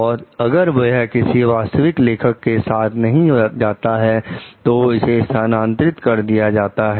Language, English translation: Hindi, And even if it does not remain with the original author, it gets transferred